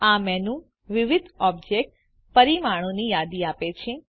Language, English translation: Gujarati, This menu lists various object constraints